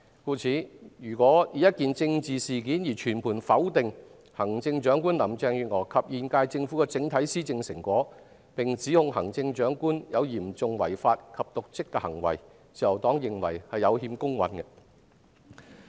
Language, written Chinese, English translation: Cantonese, 故此，如果單以一件政治事件而全盤否定行政長官林鄭月娥及現屆政府的整體施政成果，並指控行政長官有嚴重違法及瀆職行為，自由黨認為是有欠公允的。, Therefore the Liberal Party considers that it is not fair to base on a single political event to deny the overall governing achievements of Chief Executive Carrie LAM and the current HKSAR Government and accuse the Chief Executive of serious breaches of law and dereliction of duty